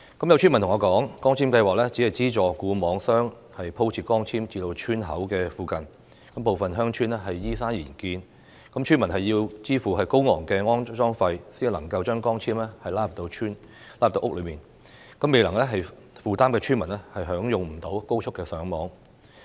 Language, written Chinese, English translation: Cantonese, 有村民告訴我，光纖計劃只是資助固網商鋪設光纖至村口附近，部分鄉村依山而建，村民要支付高昂的安裝費用，才能將光纖拉入鄉村和屋內，未能負擔費用的村民便享用不到高速上網。, Some villagers have told me that the scheme on optical fibres only provide subsidy to fixed network operators to lay optical fibres to the vicinity of the entrances of the villages . As some villages are built on hillside villagers have to pay high installation fees to have the optical fibres laid to their villages and homes . Villagers who cannot afford the fees cannot enjoy high - speed Internet connection